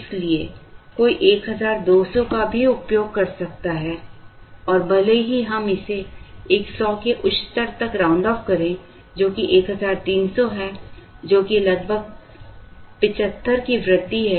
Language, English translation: Hindi, So, one can use 1200 and even if we round it off to the higher 100, which is 1300, which is an increase of about 75